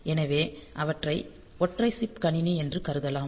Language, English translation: Tamil, So, they are they can be considered as single chip computer